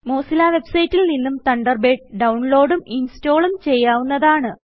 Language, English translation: Malayalam, You can also download and install Thunderbird from the Mozilla website